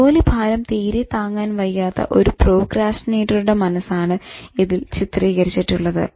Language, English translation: Malayalam, So it's typifies a procrastinate's mind in terms of getting overwhelmed